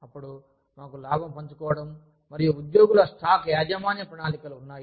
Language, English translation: Telugu, Then, we have profit sharing and employee stock ownership plans